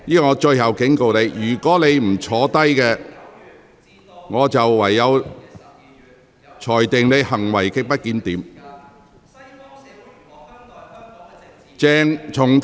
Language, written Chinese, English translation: Cantonese, 鄭議員，我最後警告你，如果你不坐下，我會裁定你行為極不檢點。, Dr CHENG I am giving you my final warning . If you do not sit down I will rule that your conduct is grossly disorderly